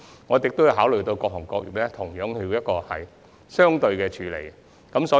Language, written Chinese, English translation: Cantonese, 我們亦有考慮到，對各行各業要作出一致的處理。, We have also taken into account the need to deal with all industries in an equitable manner